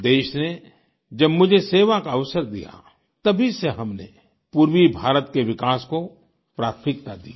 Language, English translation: Hindi, Ever since the country offered me the opportunity to serve, we have accorded priority to the development of eastern India